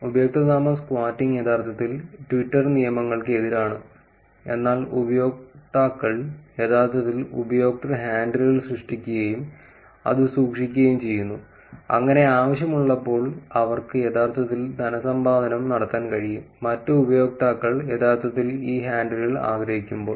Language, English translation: Malayalam, Username squatting is actually against the Twitter rules, but users actually generate user handles and keep it, so that they can actually monetize them when necessary, when other users are actually wanting to have these handles